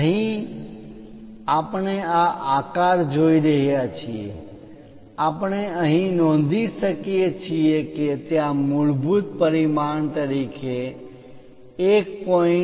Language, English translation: Gujarati, Here we are seeing this shape, we can note here there are extension lines with 1